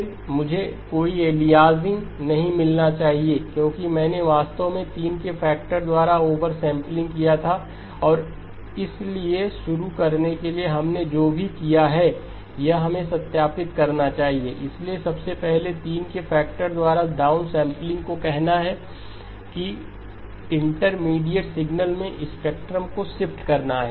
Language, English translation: Hindi, Then, I should not have any aliasing because I actually did over sampling by a factor of three to begin with and so and we should verify that whatever we have done, so downsampling by a factor of 3 first of all says get me the shifts of the spectrum right in the intermediate signal